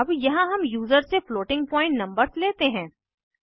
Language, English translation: Hindi, Now here we accept floating point numbers from the user